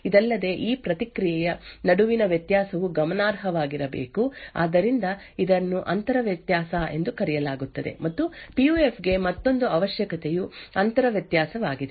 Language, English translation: Kannada, Further, the difference between this response should be significant, So, this is known as the inter difference, and another requirement for PUF is the intra difference